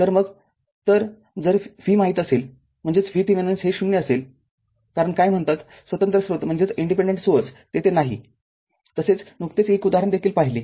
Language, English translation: Marathi, So, if know a V that means, V Thevenin will be 0 because no your what you call independent source is there earlier also you have seen one example